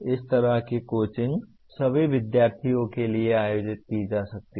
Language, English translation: Hindi, Such coaching can be organized for all the students